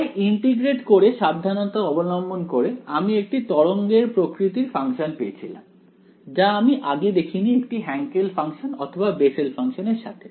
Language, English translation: Bengali, So, integrating it where to do it carefully and we came across a wave kind of function; which we had previously not seen before with a Hankel function or the bessel function